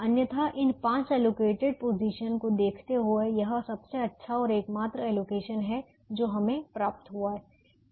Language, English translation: Hindi, otherwise, given this five allocated positions, this is the best and only allocation we can get